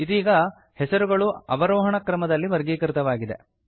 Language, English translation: Kannada, The names are now sorted in the descending order